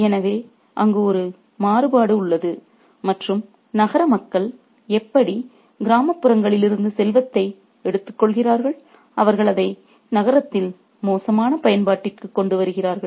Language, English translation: Tamil, So, there is a contrast there and how the city folks are taking out the wealth from the countryside and they are putting it to bad use in the city